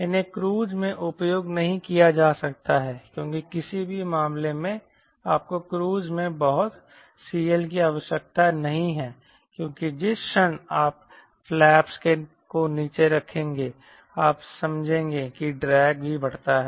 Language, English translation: Hindi, these are not to be used in cruise because in any case you do not require a lot of c l in cruise because the moment you put the flaps down, you will understand drag also increases